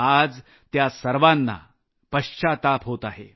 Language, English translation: Marathi, all of them are regretting now